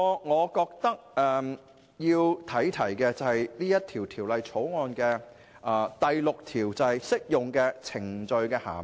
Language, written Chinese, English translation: Cantonese, 我要提出的另一點，是《條例草案》第6條所訂的"適用程序的涵義"。, And in this regard I do not think it is appropriate to lay down too many specifications . Another point I want to raise is about clause 6 of the Bill on Meaning of applicable proceedings